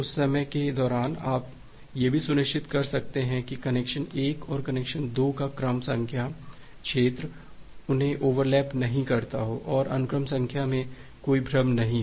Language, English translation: Hindi, During that time, you also be able to ensure that the sequence number zone of connection 1 and connection 2 they doesn’t get overlap and there is no confusion in the sequence number